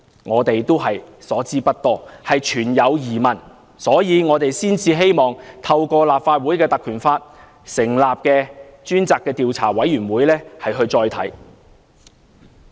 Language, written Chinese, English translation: Cantonese, 我們所知不多，存有疑問，所以才希望透過根據《立法會條例》成立的專責委員會再作研究。, We know very little about it and have doubts over this point . We hence request to set up a select committee under PP Ordinance to carry out a further investigation